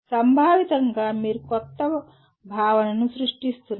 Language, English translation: Telugu, Conceptualize, you may be creating a new concept